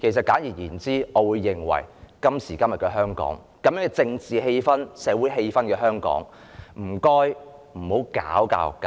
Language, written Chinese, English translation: Cantonese, 簡而言之，在今時今日香港的政治及社會氣氛下，請不要搞教育界。, In short under the current political and social circumstances in Hong Kong I urge the Government to leave the education sector alone